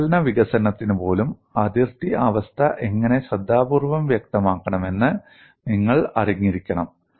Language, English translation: Malayalam, Even for analytical development, you should know how to specify the boundary condition carefully and we would look at that